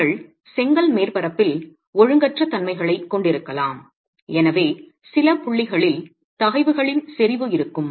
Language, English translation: Tamil, You can have irregularities on the brick surface and therefore there will be concentration of stresses in some points and smaller level of stresses in other points